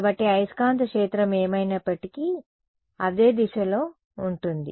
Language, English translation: Telugu, So, magnetic field anyway is in the same direction